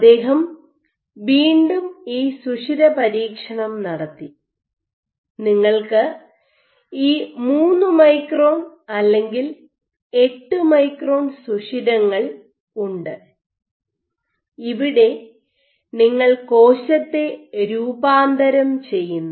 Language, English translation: Malayalam, So, he used this pore experiment again you have these pores, 3 micron or 8 micron pores, from which you transition the cell you pass the cell through these pores and during this process